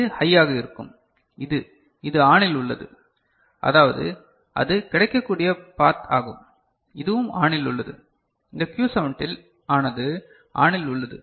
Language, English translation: Tamil, So, this will be high and this will be, this one is ON means that is a path available this is also ON, this Q17 is also ON